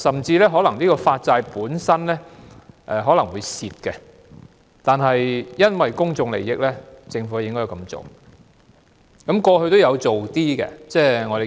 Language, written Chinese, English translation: Cantonese, 在某些情況下，發債可能會虧本，但因為公眾利益，政府也應該這樣做。, In certain situations an issuance of bonds may incur a loss but for the sake of public interests the Government should nonetheless do so